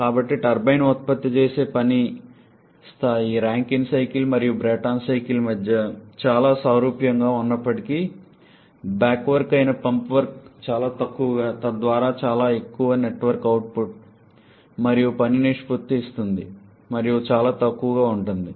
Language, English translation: Telugu, So, though the level of work produced by the turbine may be quite similar between the Rankine cycle and the Brayton cycle however the pump work that is the back work is extremely small thereby giving very high net work output and work ratio and very small, negligibly small back work ratio